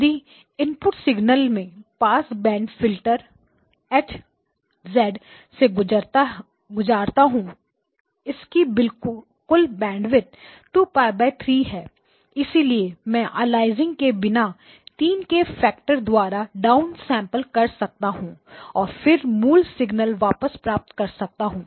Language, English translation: Hindi, So the same input signal I pass it through a band pass filter H1 of z; it has a total bandwidth of 2pi divided by 3 so I can down sample without aliasing down sampled by a factor of 3 and then get back the original signal